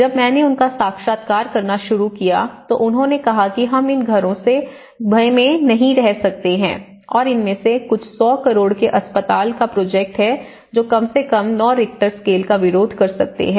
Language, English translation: Hindi, When I started interviewing them, they said no we cannot stay in these houses and some of the, there is a 100 crore hospital projects which can at least resist to 9 Richter scale